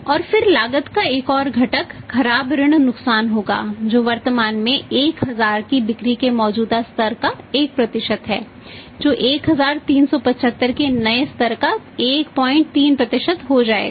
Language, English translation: Hindi, And then another component of the cost will be the bad debt losses which are currently 1% of the existing level of sales of 1000 that will become 1